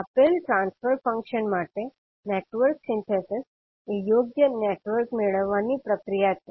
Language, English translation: Gujarati, Network Synthesis is the process of obtaining an appropriate network for a given transfer function